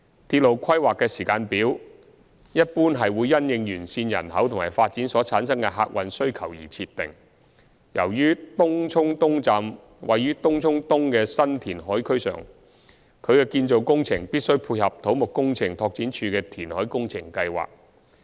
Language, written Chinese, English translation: Cantonese, 鐵路規劃的時間表一般會因應沿線人口及發展所產生的客運需求而設定，由於東涌東站位於東涌東的新填海區上，其建造工程必須配合土木工程拓展署的填海工程計劃。, Railway planning is generally programmed taking into account the traffic demand generated from the population and development along the railway . As Tung Chung East Station will rest on a new reclamation area at Tung Chung East it is necessary to match the construction of Tung Chung East Station with the reclamation being undertaken by the Civil Engineering and Development Department